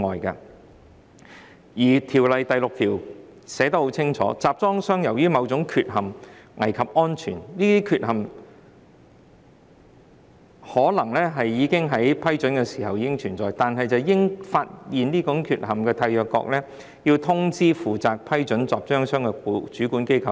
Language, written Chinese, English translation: Cantonese, 《公約》第六條寫得很清楚，當集裝箱由於某種缺陷似乎危及安全，而這項缺陷在該集裝箱獲得批准時可能已存在，應由發現這種缺陷的締約國通知負責批准該集裝箱的主管機關。, It is clearly stated under Article VI of the Convention that where the container appears to have become unsafe as a result of a defect which may have existed when the container was approved the Administration responsible for that approval shall be informed by the Contracting Party which detected the defect